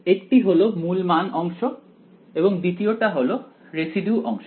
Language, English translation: Bengali, So, one is the principal value part and the second is the residue part right